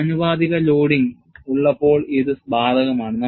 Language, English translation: Malayalam, And what is proportional loading